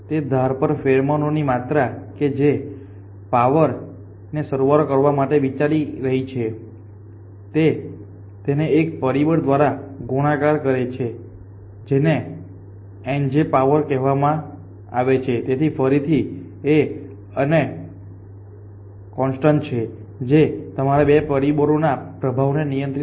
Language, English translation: Gujarati, The amount of pheromone on that edge that it is considering raise to sum power alpha multiply it by a factor which is called eta i j is to power beta, so again alpha and beta to constant, if you control the influence of these 2 factors